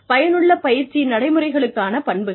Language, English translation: Tamil, Characteristics of effective training practice